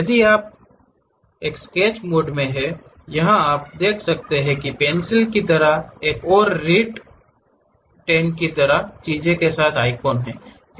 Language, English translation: Hindi, If you as long as you are in sketch mode, here you can see that there is something like a icon with pencil kind of thing and writ10 kind of thing